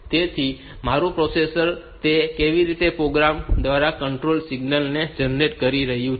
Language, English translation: Gujarati, So, my processor is doing a generating control signals in through some programs in that way